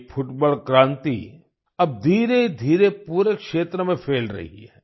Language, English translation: Hindi, This football revolution is now slowly spreading in the entire region